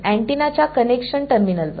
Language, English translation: Marathi, At the connection terminals of antenna